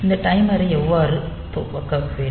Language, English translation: Tamil, So, how this timer should be initialized